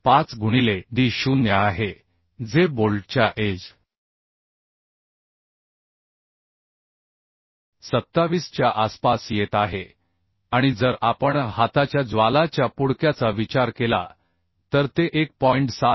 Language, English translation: Marathi, 5 into d0 that is for bolt edge is coming around 27 and and if we consider hand flame cartage then that will be 1